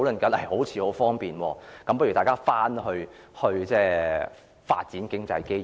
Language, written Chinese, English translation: Cantonese, 全部好像很方便，叫大家去發展經濟機遇。, Everything seems so convenient . They call on us to go and grasp the economic opportunities there